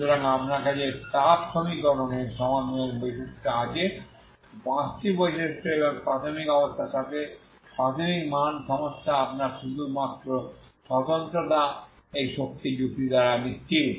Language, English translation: Bengali, So you have the properties of the solution of the heat equation five properties and the initial value problem with the initial condition you have only uniqueness is guaranteed by this energy argument